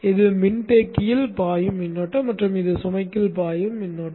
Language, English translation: Tamil, This is the current that flows into the capacitor and this is the current that flows into the load